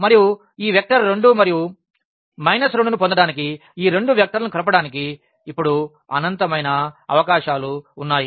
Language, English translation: Telugu, And, and there are infinitely many possibilities now to combine these two vectors to get this vector 2 and minus 2